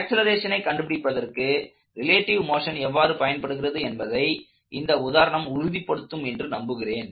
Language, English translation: Tamil, I hope this example illustrated the use of relative motion to compute accelerations